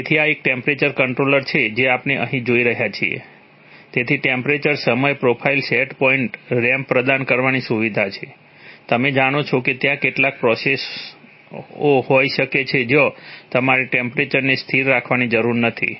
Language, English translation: Gujarati, So this is a temperature controller that is, that, we are seeing here, so there is a facility to provide a temperature time profile set point ramp, you know there are, there could be certain processes where you do not need to keep the temperature constant